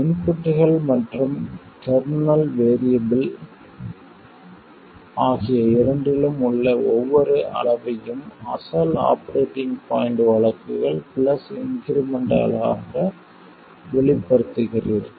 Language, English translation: Tamil, You express every quantity in the circuit both inputs and internal variables as the original operating point cases plus increments